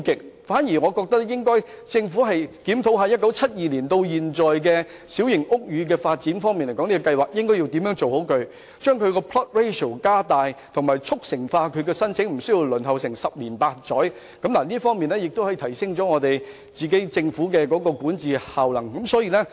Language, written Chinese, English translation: Cantonese, 我反而建議政府檢討1972年至今的小型屋宇發展計劃，研究妥善處理的方案，如把 plot ratio 加大，以及加快處理有關申請，無須輪候十年八載，藉此提升政府的管治效能。, Instead in order to raise the governance effectiveness of the Government I suggest that the Government review the New Territories Small House Policy which has been in place since 1972 explore proper options to increase the plot ratio etc . and expedite the processing of PRH applications so that applicants need not wait for almost 10 years